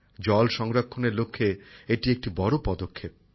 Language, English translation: Bengali, This is a giant step towards water conservation